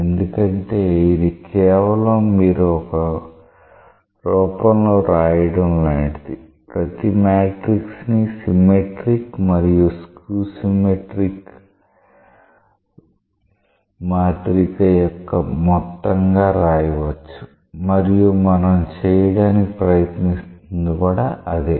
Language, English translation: Telugu, Because it is just like you are writing a form every matrix can be written as a sum of a symmetric and a skew symmetric matrix and that is what we are trying to do